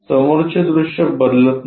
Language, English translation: Marathi, The front view is not changing